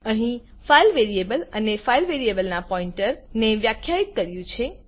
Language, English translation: Gujarati, Here, a file variable and a pointer to the file variable is defined